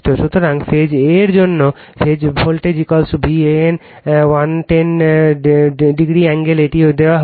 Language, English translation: Bengali, So, for phase a, phase voltage is equal to V an at the 110 angle, this is given